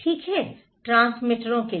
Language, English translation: Hindi, Okay, to the transmitters